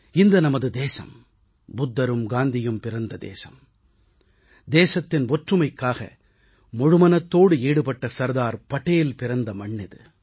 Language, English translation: Tamil, Ours is the country of Buddha and Gandhi, it is the land of Sardar Patel who gave up his all for the unity of the nation